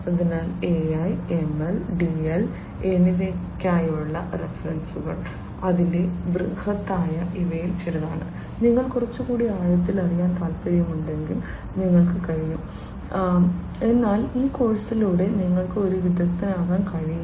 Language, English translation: Malayalam, So, you know the references for AI, ML, DL, etcetera its huge these are some of the ones that, if you are interested to know little bit more in depth you could, but mind you that through this course you cannot become an expert of artificial intelligence